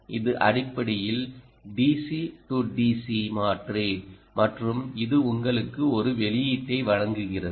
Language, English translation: Tamil, this is basically a, d, c, d c converter and that in turn gives you ah a output